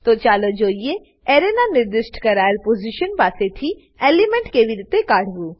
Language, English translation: Gujarati, Now, let us see how to remove an element from a specified position of an Array